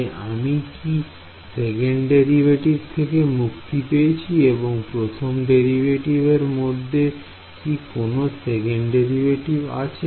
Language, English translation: Bengali, So, have I escaped the second derivative, is there any first second derivative in the first term negative second term is there